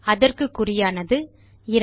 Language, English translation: Tamil, And the markup is: 2